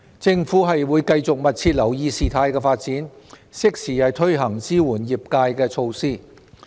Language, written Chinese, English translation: Cantonese, 政府會繼續密切留意事態發展，適時推行支援業界的措施。, The Government will continue to keep a close watch on the development of the situation and roll out measures to support the industries in a timely manner